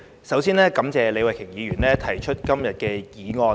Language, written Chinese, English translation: Cantonese, 首先，感謝李慧琼議員動議今天這項議案。, First of all I would like to thank Ms Starry LEE for moving this motion today